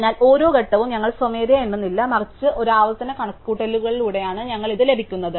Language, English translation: Malayalam, So, we not manually counting every step, rather we are getting this through a recursive calculation